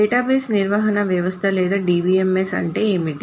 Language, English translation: Telugu, And what is a database management system or a DBMS